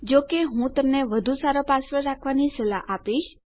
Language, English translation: Gujarati, I would recommend you a better password, though